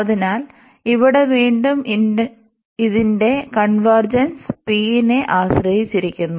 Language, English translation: Malayalam, So, here again this convergence of this depends on p